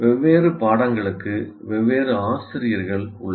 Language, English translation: Tamil, And then you have different teachers for different courses